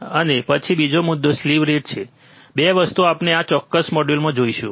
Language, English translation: Gujarati, And then another point is slew rate, 2 things we will see in this particular module